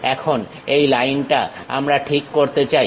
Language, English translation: Bengali, Now, this line we would like to adjust